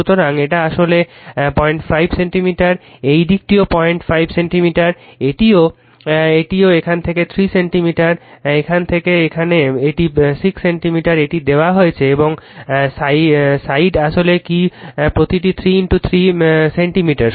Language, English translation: Bengali, 5 centimeter this also it is given from here to here 3 centimeter from here to here it is 6 centimeter it is given right and side is actually your what you call sides are 3 into 3 centimeter each